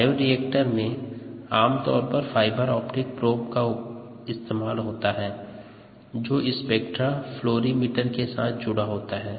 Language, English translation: Hindi, what is done is ah fiber optic probe is interfaced with a spectra fluorimeter